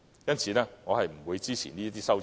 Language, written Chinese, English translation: Cantonese, 因此，我不會支持這些修正案。, Therefore I will not support these amendments